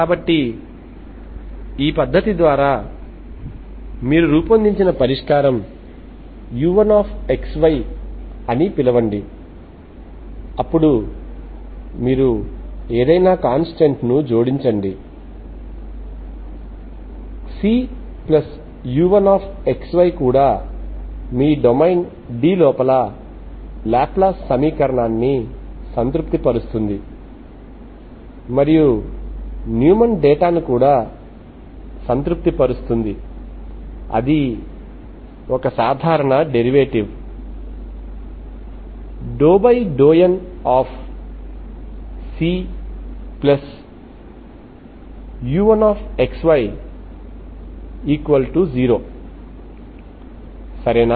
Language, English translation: Telugu, You call this U1 of XY as a solution, then you add any constant, C plus you one of XY is also satisfying Laplace equation inside D and also satisfying Neumann data, this was a normal, normal derivative of this, you see that this satisfies